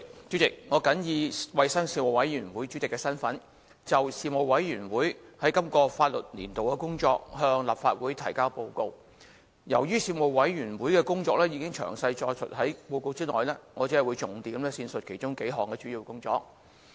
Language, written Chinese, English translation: Cantonese, 主席，我謹以衞生事務委員會主席的身份，就事務委員會在今個立法年度的工作，向立法會提交報告。由於事務委員會的工作已詳細載述在報告內，我只會重點闡述其中幾項主要工作。, President in my capacity as Chairman of the Panel on Health Services the Panel I submit the report on the work of the Panel for the current session and I will only briefly highlight several major items of work of the Panel as a detailed account of the work of the Panel can be found in the written report